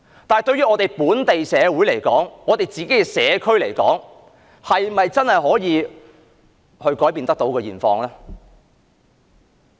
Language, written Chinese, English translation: Cantonese, 但是，對於本地社會，對我們的社區來說，是否真的可以改變現況？, Nevertheless can TIA really make changes to the society of Hong Kong and our communities?